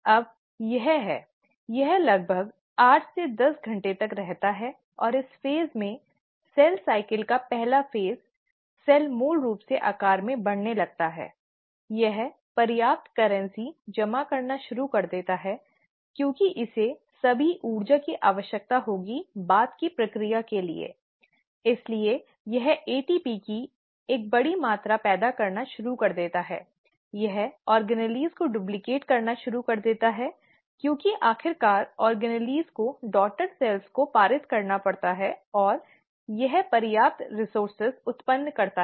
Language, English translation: Hindi, Now it is, it lasts anywhere about eight to ten hours and in this phase, the very first phase of the cell cycle, the cell basically starts growing in size, it starts accumulating enough currency, because it will need all that energy to do the subsequent processes, so it starts generating a large amount of ATP, it starts duplicating it's organelles because eventually the organelles have to be passed on to the daughter cells, and it generates enough resources